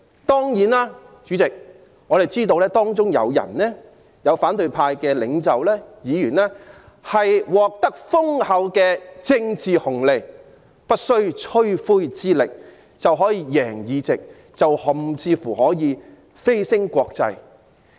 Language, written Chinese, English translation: Cantonese, 當然，主席，我們知道反對派領袖及議員獲得豐厚的政治紅利，不費吹灰之力就可以贏得議席，甚至乎蜚聲國際。, Of course President we know that leaders and Members of the opposition camp have reaped enormous political dividends as they have won the seats effortlessly and even achieved international fame